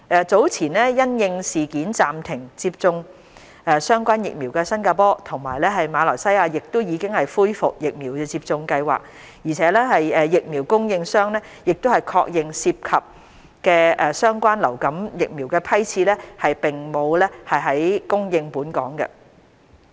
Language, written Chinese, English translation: Cantonese, 早前因應事件暫停接種相關疫苗的新加坡及馬來西亞亦已恢復疫苗接種計劃，而疫苗供應商亦確認涉及的相關流感疫苗的批次並沒有供應本港。, Singapore and Malaysia which had earlier suspended their relevant vaccination programmes due to these incidents have also resumed their vaccination programmes . DH also confirmed with the vaccine supplier that the influenza vaccine supplied to Hong Kong was of a different batch